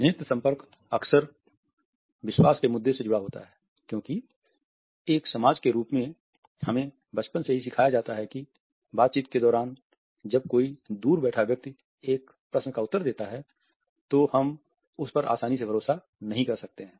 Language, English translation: Hindi, Eye contact is often linked with the trust issue because as a society we have been taught right from the childhood that someone who looks away during the conversation, while answering a question is not a person whom we can trust easily